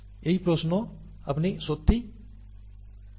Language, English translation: Bengali, That is the question, you do not really know